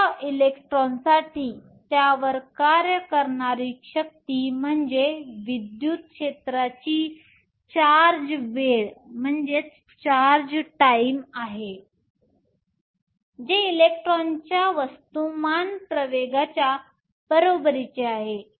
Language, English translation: Marathi, For such an electron, the force acting on it is nothing but the charge times the electric field, which equals to the mass of electron times the acceleration